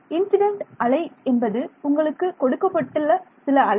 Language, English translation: Tamil, Incident wave is some wave is given to you